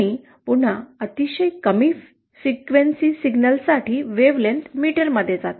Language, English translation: Marathi, And again for very low frequency signals, the wavelength goes in metres